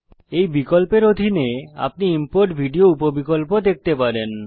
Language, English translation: Bengali, Under this option, you will see the Import Video sub option